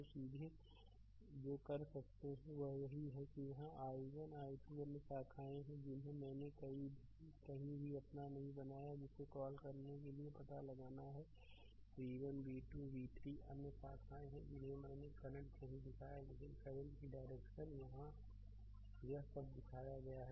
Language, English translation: Hindi, So, directly what you can ah what you can do is that here i 1 i 2 other branches I have not made any your what you call ah you have to find out v 1 v 2 v 3 other branches I have not shown the current, but direction of the current here all this shown right